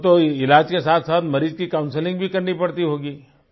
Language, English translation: Hindi, You must also be counselling the patient along with his treatment